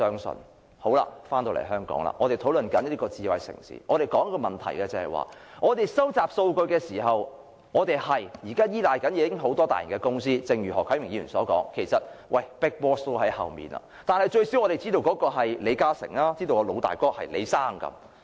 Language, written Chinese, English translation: Cantonese, 說回香港，在智慧城市這個問題上，我們在收集數據時，現時確實依賴很多大型公司，而正如何啟明議員所說，其實是有 big boss 在後面，但最少我們知道那是李嘉誠，知道老大哥是李先生。, Coming back to Hong Kong on the question of smart city currently we do rely on many large enterprises to collect data and as Mr HO Kai - ming has said behind these enterprises there are actually the big bosses but at least we know that it is LI Ka - shing and that the big brother is Mr LI